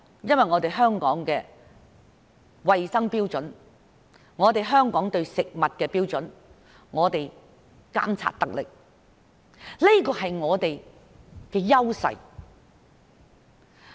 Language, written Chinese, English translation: Cantonese, 因為香港的衞生標準、對食物的標準監察得力，這是我們的優勢。, Because of Hong Kongs health standards and effective surveillance of food standards which are our strengths